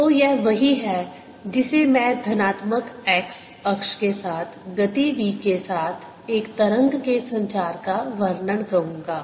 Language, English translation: Hindi, so this is i will call description of a wave propagating with speed v along the positive x axis